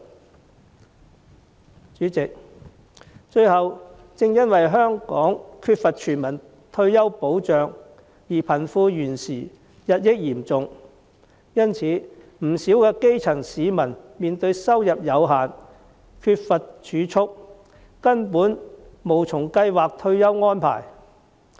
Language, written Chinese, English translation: Cantonese, 代理主席，最後，正因香港缺乏全民退休保障，而貧富懸殊日益嚴重，不少基層市民面對收入有限，缺乏儲蓄，根本無從計劃退休安排。, Deputy President lastly given the absence of universal retirement protection in Hong Kong and the widening gap between the rich and the poor many grass roots are facing the problem of limited income and lack of savings which precludes them from making any planning for retirement